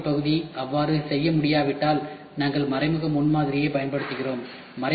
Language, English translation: Tamil, If the additive manufacturing part is not capable to do so, we use indirect prototyping